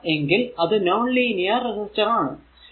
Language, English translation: Malayalam, If it is not that is non linear resistor simple thing, right